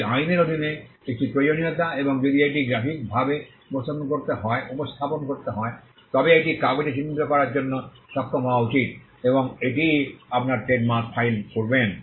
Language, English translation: Bengali, That is a requirement under the law and if it has to be graphically represented, it should be capable of being portrayed on paper, and that is how you file your trademarks